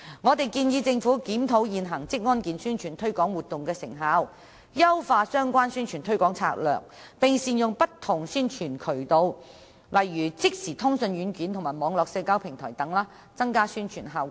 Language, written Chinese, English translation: Cantonese, 我們建議政府檢討現時職安健宣傳推廣活動的成效，優化相關宣傳推廣策略，並善用不同宣傳渠道，例如即時通訊軟件和網絡社交平台等，以提升宣傳效果。, We suggest that the Government should review the effectiveness of the present promotional efforts in publicizing occupational safety and health enhance the relevant promotional strategies and make good use of various publicity channels to enhance the promotional effects